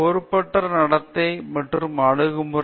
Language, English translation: Tamil, Irresponsible behavior and attitude